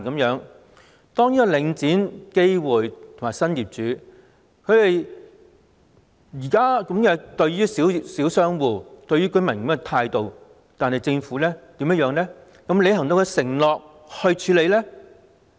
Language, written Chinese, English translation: Cantonese, 現在領展、基匯和新業主以這種態度對待小商戶和居民，政府又有否履行其承諾去處理呢？, Now that as Link REIT GAW Capital Partners and the new owners are treating the small shop operators and tenants with this attitude has the Government taken any action to honour its undertaking?